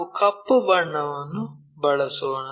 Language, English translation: Kannada, Let us use some other color, black